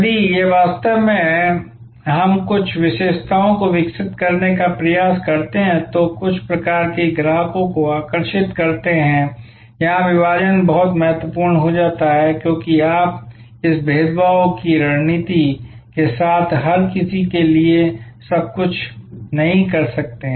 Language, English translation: Hindi, So, this is how actually we try to develop certain features that attractors certain type of customers, here segmentation becomes very important, because you cannot be everything to everybody with this differentiation strategy